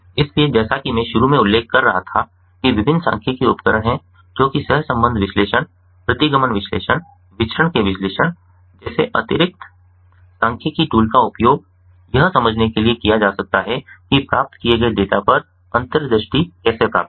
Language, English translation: Hindi, so, as i was mentioning at the outset that there are different statistical tools, that additional statistical tools like correlation analysis, regression analysis, analysis of variance can be used in order to understand, to how to get insight on the data that is obtained, that is collected